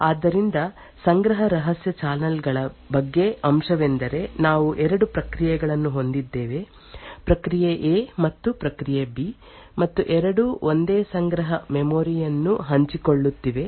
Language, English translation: Kannada, So, the aspect about cache covert channels is that we have 2 processes; process A and process B and both are sharing the same cache memory